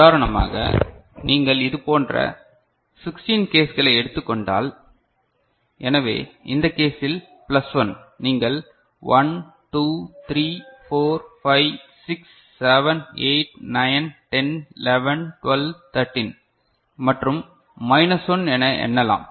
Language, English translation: Tamil, For example, you have taken 16 such cases; so, in this case plus 1, you can count as 1, 2, 3, 4, 5, 6, 7, 8, 9, 10, 11, 12, 13 and minus 1 are 3